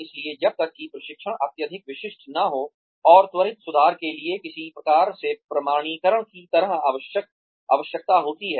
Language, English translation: Hindi, So, unless the training is highly specialized, and requires some sort of certification, for quick fixes